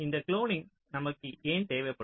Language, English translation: Tamil, so why we may need this cloning